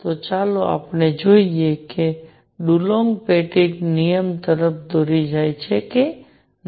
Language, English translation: Gujarati, Let us see if it leads to Dulong Petit law also